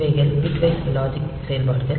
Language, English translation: Tamil, So, these are the bitwise logic operations